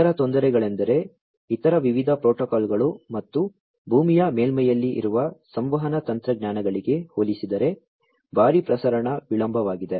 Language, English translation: Kannada, Other difficulties are that there is huge propagation delay compared to the other types of protocols and the communication technologies that are in place in on the terrestrial surface